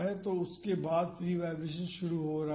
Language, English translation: Hindi, So, after that the free vibration is starting